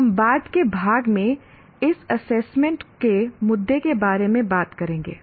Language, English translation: Hindi, We will talk about these assessment issues in a later part